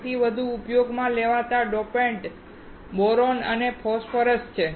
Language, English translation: Gujarati, The most frequently used dopants are boron and phosphorus